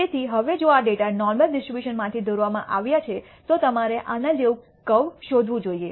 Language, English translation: Gujarati, So now, if this data has been drawn from the normal distribution then you should find a curve like this